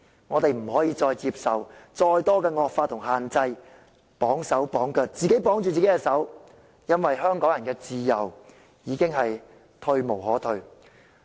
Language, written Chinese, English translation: Cantonese, 我們不能再接受更多的惡法與限制，自綁手腳，因為香港人的自由已退無可退。, We cannot accept more draconian laws and restrictions to shackle ourselves because we have no more room for our freedom to fall back to